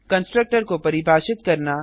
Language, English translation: Hindi, To define a contructor